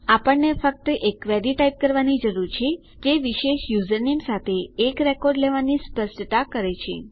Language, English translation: Gujarati, We need to just type a query that specifies taking a record with a particular username